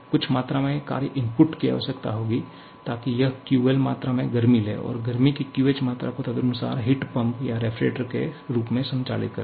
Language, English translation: Hindi, Some amount of work input will be required, so that it takes QL amount of heat and gives QH amount of heat to this accordingly operating either as a heat pump or the refrigerator